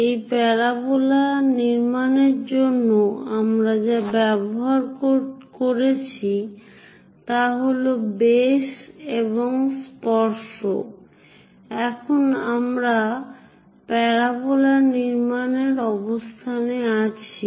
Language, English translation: Bengali, For this parabola construction, what we have used is, by using base and tangents, we are in a position to construct parabola